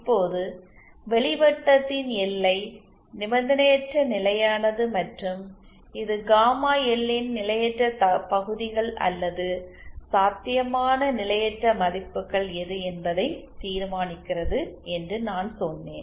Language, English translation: Tamil, Now, I said that the boundary of outer circle the output stability circle determines which is the unconditionally stable and which is the which is the potentially unstable regions or potentially unstable values of gamma L